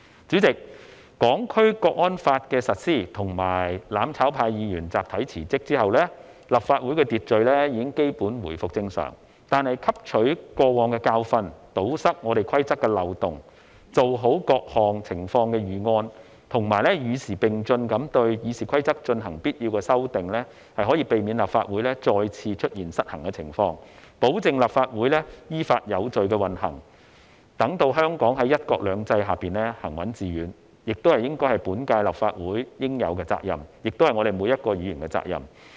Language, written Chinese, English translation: Cantonese, 主席，《香港國安法》的實施和"攬炒派"議員集體辭職後，立法會的秩序已基本回復正常，但汲取過往的教訓，堵塞規則的漏洞，做好各項情況的預案，以及與時並進地對《議事規則》進行必要的修訂，是可以避免立法會再次出現失衡的情況，保證立法會依法有序地運行，讓香港在"一國兩制"下行穩致遠，這應是本屆立法會應有的責任，亦應是每位議員的責任。, President with the implementation of the Hong Kong National Security Law and the collective resignation of the Members from the mutual destruction camp the Legislative Council has basically restored its order . However we believe that learning from past lessons plugging the loopholes in the rules better preparing for different situations and making necessary amendments to RoP as time progresses can prevent this Council from losing its balance again . These measures can also ensure the lawful and orderly operation of the Legislative Council the steadfast and successful running of Hong Kong under one country two systems